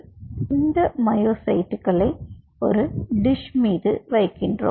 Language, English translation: Tamil, then what you do: you played these myocytes on a dish